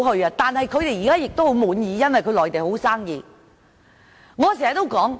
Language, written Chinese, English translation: Cantonese, 這些企業現時十分滿意，因為內地生意很好。, These enterprises are now satisfied as business is now very good